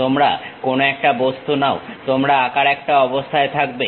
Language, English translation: Bengali, You pick some object; you will be in a position to draw